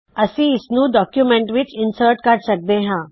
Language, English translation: Punjabi, We can now insert this into documents